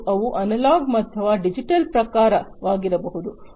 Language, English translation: Kannada, And these could be of analog or, digital types